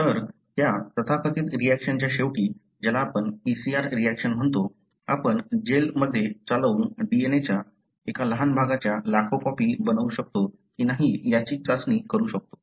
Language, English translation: Marathi, So, at the end of that so called reaction, what you call PCR reaction, you can test whether you are able to make millions of copies of a small segment of the DNA, by running it in a gel